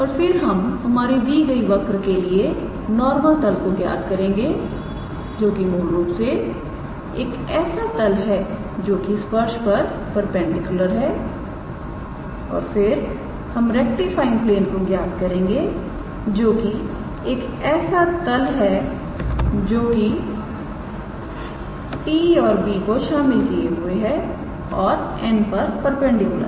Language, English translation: Hindi, And then we calculated the normal plane, for that given curve which is basically a plane perpendicular to the tangent and then we calculated the rectifying plane which is a plane containing t and b and perpendicular to n